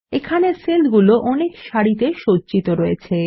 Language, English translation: Bengali, This area has several rows of cells